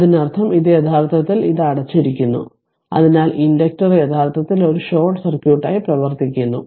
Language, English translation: Malayalam, That means, this one actually this one it was it was closed for a long time, so inductor actually behaving as a short circuit